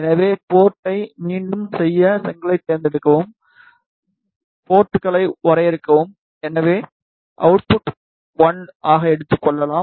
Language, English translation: Tamil, So, to make port again select brick, define ports, so maybe just take as output 1